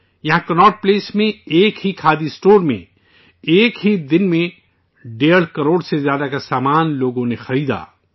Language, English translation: Urdu, Here at Connaught Place, at a single Khadi store, in a single day, people purchased goods worth over a crore and a half rupees